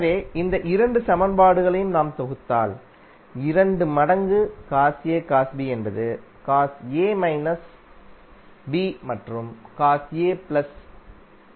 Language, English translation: Tamil, So if you sum up these two equations what you will get, two times cos A cos B is nothing but cos A minus B plus Cos A plus B